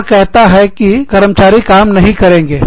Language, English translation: Hindi, And says, that even my employees, will not work